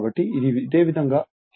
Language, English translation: Telugu, So, this similarly that that will energy loss will be 0